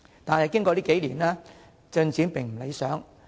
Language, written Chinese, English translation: Cantonese, 但是，經過數年，政策進展並不理想。, The implementation of the above policies however is not satisfactory over the years